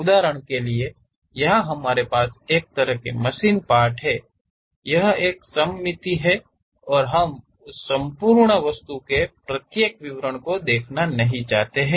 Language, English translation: Hindi, For example, here we have such kind of machine element; it is a symmetric one and we do not want to really represent each and every detail of that entire object